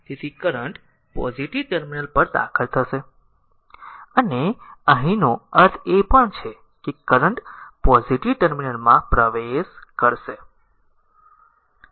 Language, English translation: Gujarati, So, current entering into the positive terminal and here also you mean that current entering the positive terminal , right